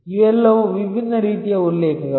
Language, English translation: Kannada, All these are different types of references